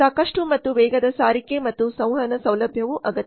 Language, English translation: Kannada, Adequate and fast transportation and communication facility is also required